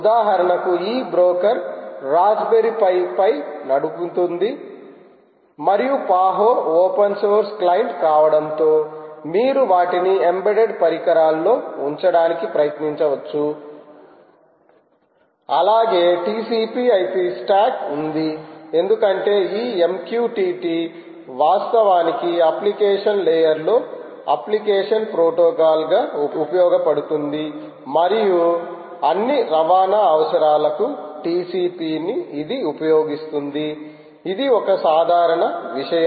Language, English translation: Telugu, for instance, this broker can run on raspberry pipe ok, and the paho being an open source client, you can attempt to put them on embedded devices as well, provided there is t c p, i p stack right, because this m q t t actually runs an application protocol in the application layer and it uses t c p for all its transport requirements